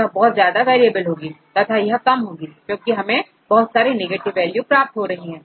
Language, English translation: Hindi, If it is highly variable, then it is going less because you will get more negative values